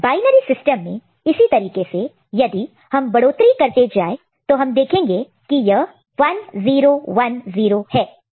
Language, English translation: Hindi, And in binary system, if we go on you know incrementing the way we have incremented the earlier cases one by one, we will see that it is 1 0 1 0 ok